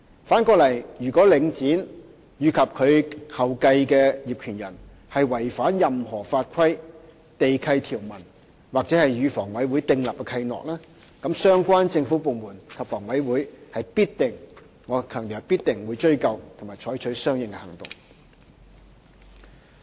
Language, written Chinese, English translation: Cantonese, 反過來說，如果領展及其後繼的業權人違反任何法規、地契條文或與房委會訂立的契諾，則相關政府部門及房委會必定——我強調是必定——追究及採取相應行動。, On the contrary if Link REIT and the subsequent owners violate any regulations lease conditions or the Covenants with HA relevant government departments and HA are bound to―I stress they are bound to―pursue responsibility and take action